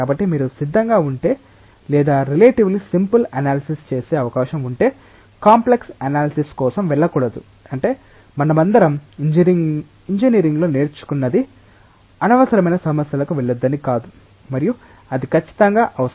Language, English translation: Telugu, So, if you are ready or if you are having the possibility of doing a relatively simple analysis one should not go for a complex analysis that is what all of us have learnt in engineering that do not go for unnecessary complication until and unless it is absolutely required